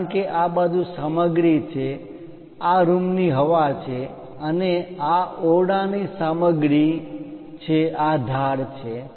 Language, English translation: Gujarati, Because there is a material on this side this is the room air and this is the room material, these are the edges